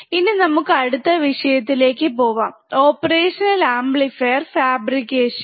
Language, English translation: Malayalam, So, let us move to the second point which is the op amp fabrication